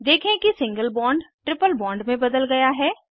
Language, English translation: Hindi, Observe that Single bond is converted to a triple bond